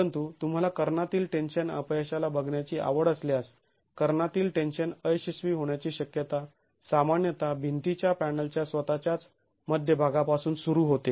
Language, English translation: Marathi, But if you are interested to look at the diagonal tension failure, diagonal tension failure would typically begin from the mid height of the wall panel itself